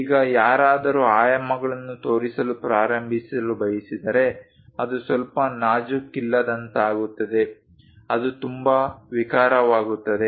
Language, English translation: Kannada, Now, if someone would like to start showing the dimensions it becomes bit clumsy, it becomes very clumsy